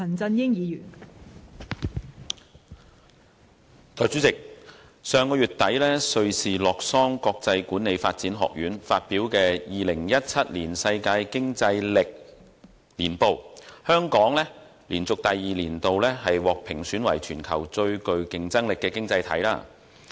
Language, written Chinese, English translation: Cantonese, 代理主席，根據上月底瑞士洛桑國際管理發展學院發表的《2017年世界競爭力年報》，香港連續第二年獲評選為全球最具競爭力的經濟體。, Deputy President Hong Kong has been crowned the worlds most competitive economy for the second consecutive year in the World Competitiveness Yearbook 2017 released at the end of last month by the International Institute for Management Development in Lausanne Switzerland